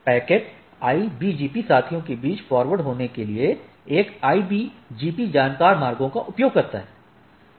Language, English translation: Hindi, Packet forwarded between the IBGP peers uses a IBGP learned routes